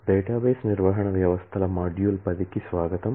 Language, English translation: Telugu, Welcome to module ten of database management systems